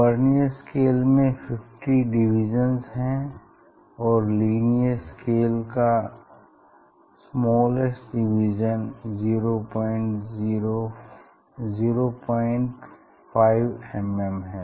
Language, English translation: Hindi, Vernier scale have these 50 division and linear scale it has smallest division is 0